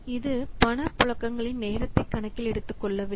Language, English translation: Tamil, It does not take into account the timing of the cash flows